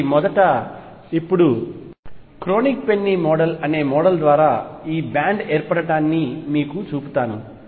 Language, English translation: Telugu, So, first now let me show you the formation of this band through a model called the Kronig Penney Model